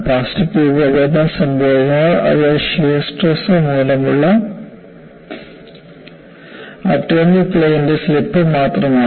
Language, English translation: Malayalam, When you have plastic deformation, it is nothing, but slip of atomic planes due to shear stress